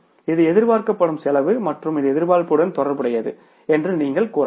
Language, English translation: Tamil, This is the expected cost and you can say it is related to the expectations